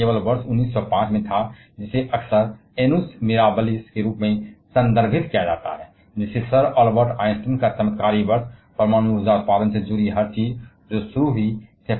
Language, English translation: Hindi, But it was only in this year 1905 which is often refer as the Annus Mirabalis; that is, the miraculous year of sir Albert Einstein that everything related to the nuclear power generation that started